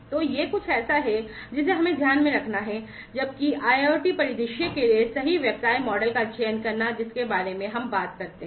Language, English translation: Hindi, So, this is something that we have to keep in mind, while choosing the right business model for the IIoT scenario that we talk about